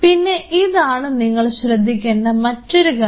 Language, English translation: Malayalam, So, this is another thing which you have to be very careful